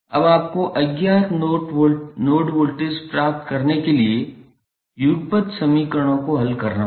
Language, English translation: Hindi, Now, you have to solve the resulting simultaneous equations to obtain the unknown node voltages